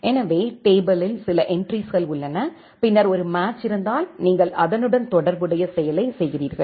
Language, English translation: Tamil, So, we have certain entries in the tables and then if there is a match then, you execute the corresponding action